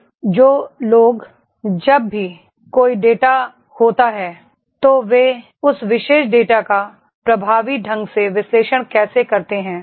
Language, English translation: Hindi, Then those who…Whenever there is a data, how effectively they analyse that particular data